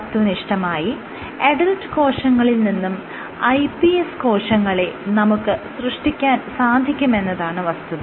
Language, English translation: Malayalam, What are the strengths of this iPS technology, because you can in principle iPS cells you can derive from adult tissues